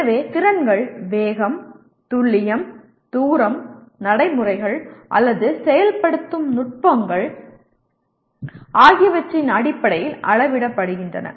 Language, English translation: Tamil, So the skills are measured in terms of speed, precision, distance, procedures, or techniques in execution